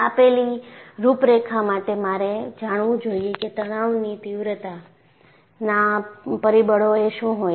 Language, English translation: Gujarati, For the given configuration, I should know, what are the stress intensity factors